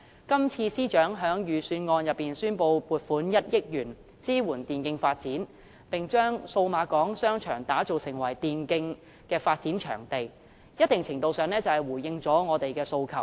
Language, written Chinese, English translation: Cantonese, 今次司長在預算案中宣布撥款1億元支援電競發展，並將數碼港商場打造成為電競發展的場地，在一定程度上回應了我的訴求。, This time the Financial Secretary has announced in the Budget that 100 million will be allocated to supporting the development of e - sports and turning the Cyberport Arcade into a venue for such development . To a certain extent he has responded to my request